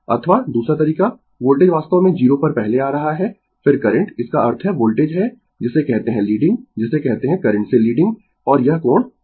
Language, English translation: Hindi, Or other way the voltage actually coming to the 0 first, then the current; that means, voltage is your what you call leading your what you call leading the current and this angle phi